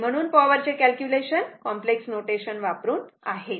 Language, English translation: Marathi, So, calculation of power using complex notation right